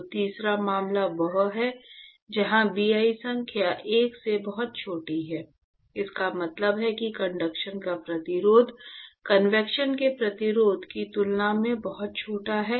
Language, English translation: Hindi, So, the third case is where Bi number is much smaller than 1; this means that the resistance to conduction is much smaller than resistance to convection